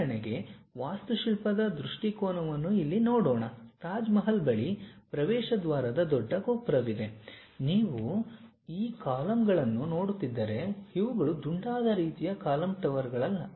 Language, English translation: Kannada, For example, here let us look at for architecture point of view, near Taj Mahal, there is an entrance gate the great tower, if you are looking at these columns these are not rounded kind of column towers